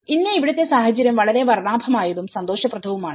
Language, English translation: Malayalam, Today, the situation here, is very colorful and very cheerful